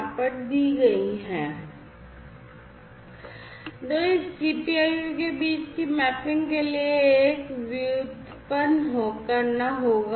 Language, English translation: Hindi, So, with this mapping between this GPIO and that one will have to be derived